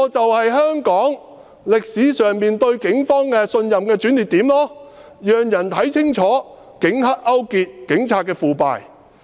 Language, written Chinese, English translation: Cantonese, 這便是香港歷史上市民對警方信任度的轉捩點，人們清楚看到警黑勾結、警察腐敗。, That was the turning point of the peoples trust of the Police in the history of Hong Kong . The people clearly saw how the Police colluded with triads and how corrupt they were